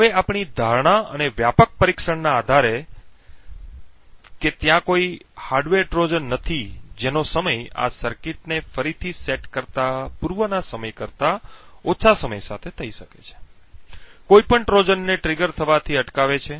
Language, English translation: Gujarati, Now based on our assumption and the extensive testing that there are no hardware Trojan that can be triggered with a time less than an epoch resetting this circuit would prevent any Trojan from being triggered